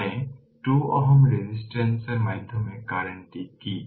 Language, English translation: Bengali, That means what is the current through 2 ohm resistance